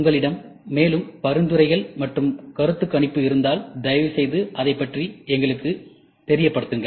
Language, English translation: Tamil, And feel free if you have any more suggestions and observations please let us know about it